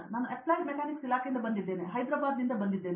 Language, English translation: Kannada, I am from Applied Mechanics Department, I am from Hyderabad